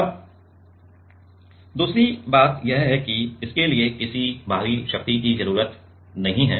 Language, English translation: Hindi, Now, another is this does not need any external power